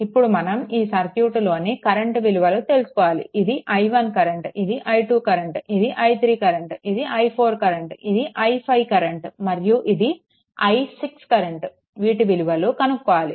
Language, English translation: Telugu, And therefore, what we have to do is, that look this is the current i 1 right this is current i 2 this is current i 3 this is i 4 this is current i 5 and this is current i 6 right so, you have to solve this circuit